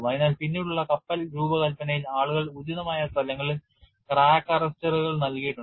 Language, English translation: Malayalam, So, in the later ship designs people have provided crack arresters at appropriate locations